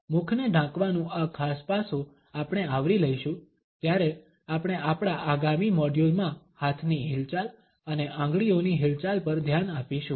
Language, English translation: Gujarati, This particular aspect of covering the mouth we will cover when we will look at hand movements and finger movements in our next modules